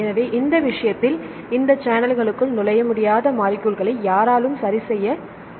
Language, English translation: Tamil, So, in this case, nobody can the molecules they cannot enter into these channels right ok